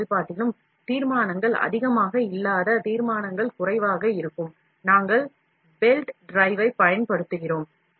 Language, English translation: Tamil, Normally in all the FDM process, where the resolutions are not high, resolutions are low, we use, we use belt drive